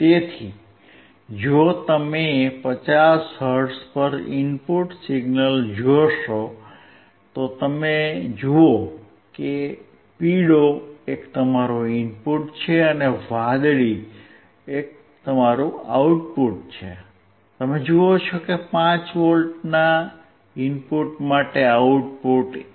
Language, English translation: Gujarati, So, if you see input signal at 50 hertz, you see the yellow one is your input, and the blue one is your output, you see that for the input of 5 V, the output is 1